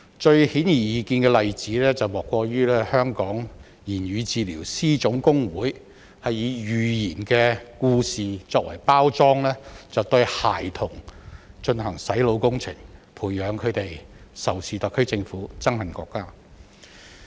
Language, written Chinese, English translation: Cantonese, 最顯而易見的例子，莫過於香港言語治療師總工會以寓言故事作為包裝，對孩童進行"洗腦"工程，培養他們仇視特區政府、憎恨國家。, The most obvious example is that The General Union of Hong Kong Speech Therapists has used fables to brainwash children instilling into them hatred against HKSARG and the country